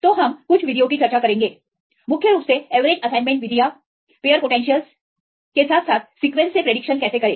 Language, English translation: Hindi, So, we will discuss the free methods mainly the average assignment methods, pair potentials as well as how to predict from the sequence